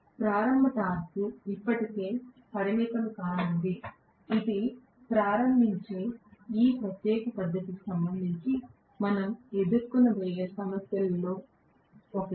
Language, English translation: Telugu, The starting torque is going to be still limited that is one of the problems that we are going to face with respect to this particular method of starting right